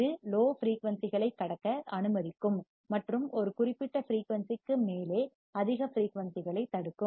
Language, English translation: Tamil, It will allow to pass the low frequencies and block the high frequencies above a particular frequency